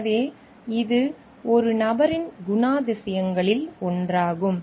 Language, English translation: Tamil, So, this is one of the character traits of a person